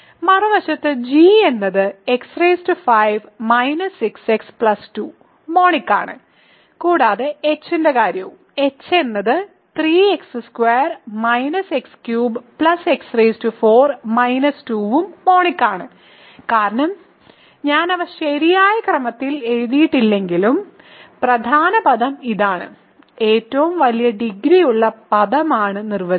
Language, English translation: Malayalam, On the other hand g is x power 5 minus 6 x plus 2 is monic and what about h; h is 3 x squared minus x cube plus x 4 minus 2 is also monic right, because even though I have not written them in the correct order the leading term is this; leading term is by definition the term with the largest degree